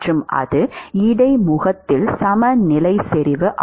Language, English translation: Tamil, That is what that interface concentration is